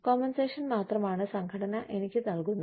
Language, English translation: Malayalam, Compensation is all, that the organization, gives me